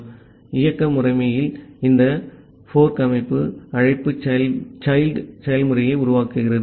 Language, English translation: Tamil, So, in operative system, this fork system call creates a child process